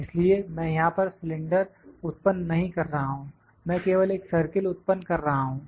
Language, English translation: Hindi, So, I am not producing a cylinder here I am just producing a circle